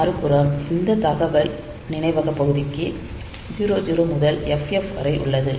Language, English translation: Tamil, On the other hand, this for data memory part, we have got this 00 to FF